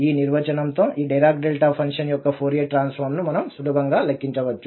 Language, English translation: Telugu, And with this definition, we can easily compute the Fourier transform now of this Dirac Delta function